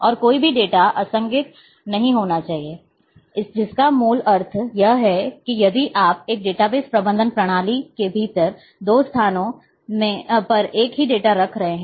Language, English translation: Hindi, And there should not be inconsistency data inconsistency means basically here is that a, if a if you are keeping the same data at two places within one database management system